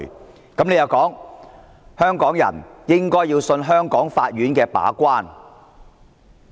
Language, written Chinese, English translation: Cantonese, 局長的回應是，香港人應相信香港法院的把關。, The Secretary responded that Hong Kong people should trust that the courts of Hong Kong would act as gatekeepers